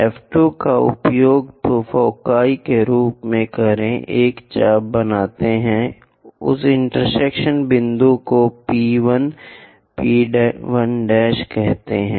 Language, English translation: Hindi, Use foci as F 2 make an arc, call that intersection point as P 1 P 1, P 1 dash, P 1 prime